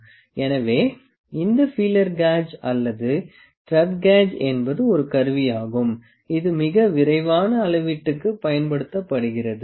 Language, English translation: Tamil, So, this feeler gauge or the thread gauge this small gauge is which is a there instrument which are used for very quick measurement